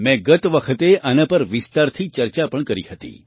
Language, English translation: Gujarati, I had also discussed this in detail last time